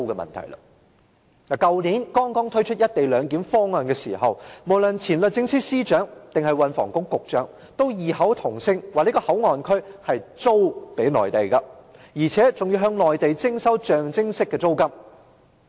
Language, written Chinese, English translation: Cantonese, 去年剛剛推出"一地兩檢"安排時，無論是前律政司司長或運輸及房屋局局長，都異口同聲說這個口岸區是"租"予內地的，而且還要向內地徵收象徵式的租金。, When the co - location arrangement was first introduced last year both the former Secretary for Justice and the Secretary for Transport and Housing said that MPA was leased to the Mainland at a nominal rent